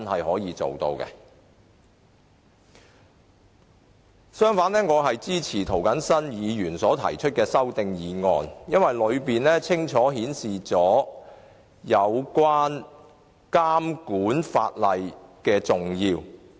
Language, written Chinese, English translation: Cantonese, 我支持涂謹申議員提出的修正案，因為他清楚指出監管法例的重要性。, I support Mr James TOs amendment because he has clearly pointed out the importance of regulatory legislation